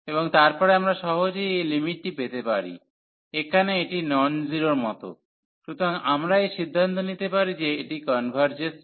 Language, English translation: Bengali, And then we can easily get this limit, in this case it is like non zero, so 1 and then we can conclude that this converges